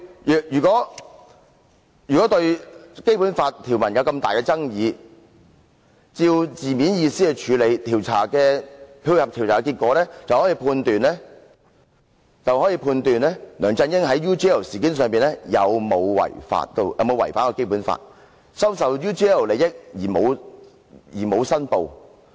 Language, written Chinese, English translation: Cantonese, 若非對《基本法》條文有重大爭議，按照字面意思來處理，配合調查結果，便可判斷梁振英在 UGL 事件中有沒有違反《基本法》，收受 UGL 利益但未有申報。, If there are no major controversies over the provisions of the Basic Law it will be determined on the literal meaning of the provision and supported by findings of the inquiry whether LEUNG Chun - ying has violated the Basic Law and accepted advantages from UGL without making declaration in the UGL incident